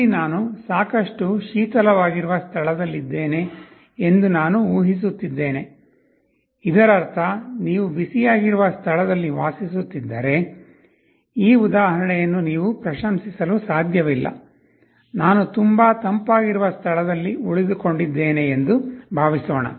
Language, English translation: Kannada, Here I am assuming that I am in a place which is quite cold, it means if you are residing in a place which is hot you cannot appreciate this example, suppose I am staying in a place which is very cold